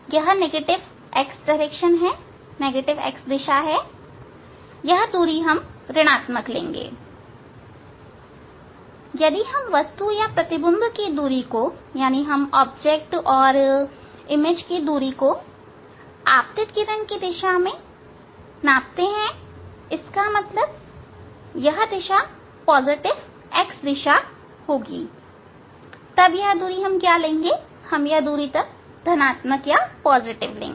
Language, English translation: Hindi, that distance will take as a negative; that distance will take as a negative if distance of object or image we measure along the incident ray direction so; that means, this direction positive x direction